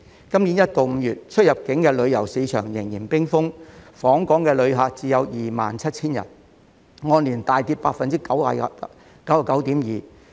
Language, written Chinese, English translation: Cantonese, 今年1月至5月出入境旅遊市場仍然冰封，訪港旅客只有 27,000 人，按年大跌 99.2%。, Our inbound and outbound tourism remained frozen between January and May this year with only 27 000 inbound visitors representing a significant year - on - year decline of 99.2 %